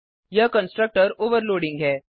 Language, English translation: Hindi, This is constructor overloading